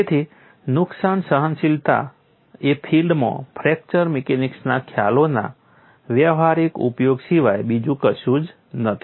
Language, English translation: Gujarati, So, damage tolerance is nothing but practical utilization of fracture mechanics concepts in the field